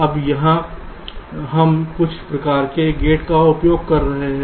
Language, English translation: Hindi, now here we are using some kind of gates